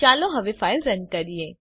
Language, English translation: Gujarati, Let us run the file now